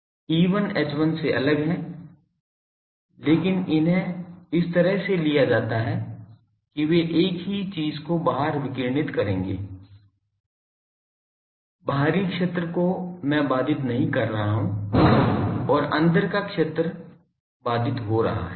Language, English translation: Hindi, A different from E1 H1, but these are taken to be such that they will radiate the same thing in the outside, outside I am not disturbing and inside field is getting disturbed